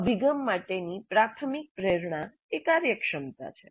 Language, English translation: Gujarati, So the primary motivation for this approach is efficiency